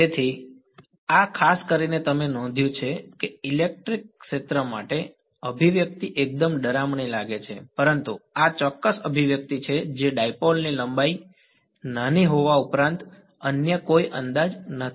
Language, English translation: Gujarati, So, this is the especially you get you notice that the expression for the electric field is fairly scary looking, but this is the exact expression that is there are apart from the fact that the length of the dipole is small there is no other approximation here right